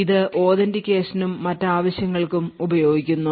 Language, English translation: Malayalam, So this is essentially utilised for authentication and other purposes